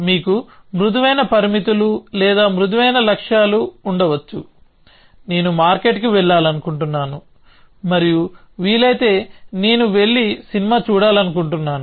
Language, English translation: Telugu, You might have soft constraints or soft goals, which might say I would like to go to the market and if possible I want to go and see a movie